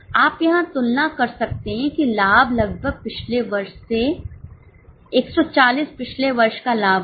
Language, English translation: Hindi, You can compare here the profit as almost from 140 was the profit of last year